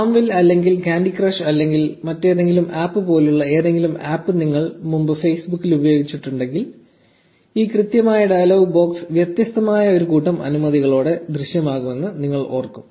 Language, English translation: Malayalam, If you have ever used any app on Facebook before FarmVille or candy crush or any other app, you would remember seeing this exact dialogue box appear with probably a different set of permissions